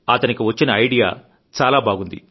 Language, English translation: Telugu, Their idea is very interesting